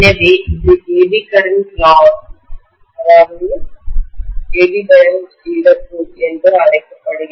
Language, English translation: Tamil, So this is known as the Eddy current loss